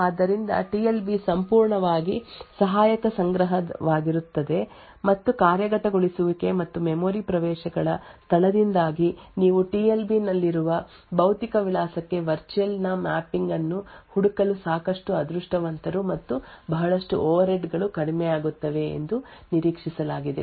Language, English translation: Kannada, So, the TLB would be fully associative cache and it is expected that due the locality of the execution and memory accesses you are quite lucky to find the mapping of virtual to physical address present in the TLB and a lot of overheads will be reduced